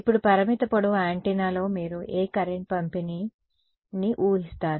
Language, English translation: Telugu, Now in a finite length antenna what current distribution will you assume